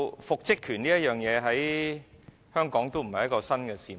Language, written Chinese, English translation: Cantonese, 復職權在香港並非新事物。, The right to reinstatement is not new to Hong Kong